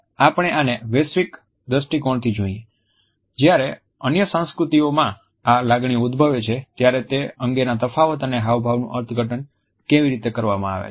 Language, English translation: Gujarati, We look at this from a global perspective, the differences in how we interpret the expression of emotions when they originate in other cultures